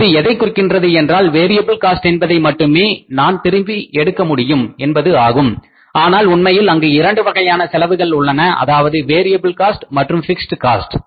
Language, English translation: Tamil, So it means variable cost is only that we are able to recover only the actually there are two kind of the cost, variable cost and the fixed cost